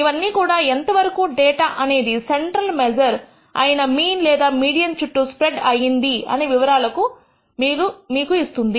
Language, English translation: Telugu, All of these give you indication of how much the data is spread around the central measure which is the mean or the mode or the median as the case may be